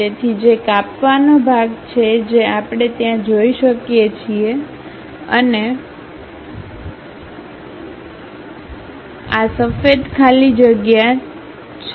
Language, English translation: Gujarati, So, whatever that cut section we have that we are able to see there and this white blank space, that white blank space is that